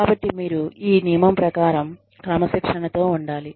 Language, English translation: Telugu, So, you must discipline, according to this rule